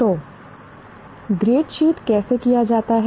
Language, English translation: Hindi, So, how is the grade sheet done